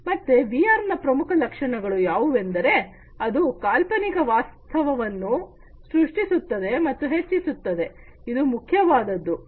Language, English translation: Kannada, So, the key features of VR are, that it creates and enhances an imaginary reality imaginary reality this is very important right